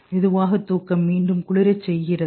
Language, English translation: Tamil, Slow wave sleep again cools down